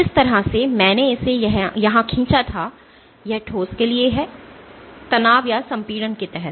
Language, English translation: Hindi, So, this the way had drawn it here this is for under tension for when of solid is under tension or compression